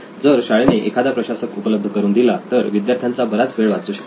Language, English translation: Marathi, If the school provides the administrator, it is less time consuming for the students